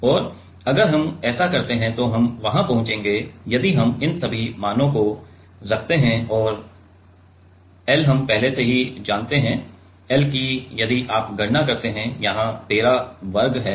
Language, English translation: Hindi, And if we do that then we will get there if we put all these values and l we already know, l if you calculate that there are a 13 squares